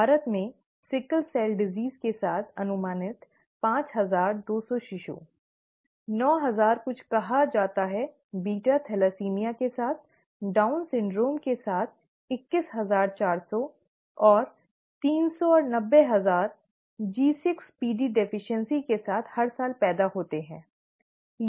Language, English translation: Hindi, In India, an estimated five thousand two hundred infants with sickle cell disease, nine thousand with something called beta thalassaemia, twenty one thousand four hundred with Down syndrome and , three hundred and ninety thousand with G6PD deficiency are born each year, okay